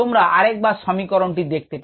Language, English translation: Bengali, you can go back and check that equation